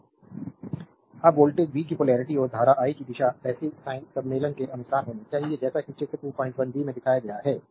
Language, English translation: Hindi, Now, the polarity of voltage v and the direction of the current i must conform with the passive sign convention as shown in figure 2